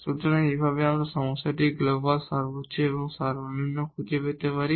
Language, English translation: Bengali, So, in this way we can find the global maximum and minimum of the problem